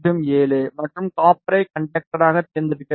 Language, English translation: Tamil, 0007 and the copper should be selected as the conductor